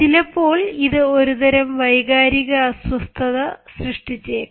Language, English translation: Malayalam, this may create a sort of emotional disturbance